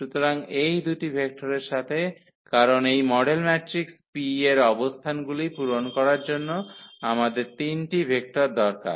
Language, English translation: Bengali, So, with these 2 vectors because we need 3 vectors to fill the positions of this model matrix P